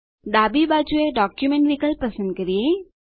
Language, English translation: Gujarati, On the left side, lets select the Document option